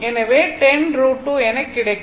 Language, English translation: Tamil, So, 10 root 2 will be 14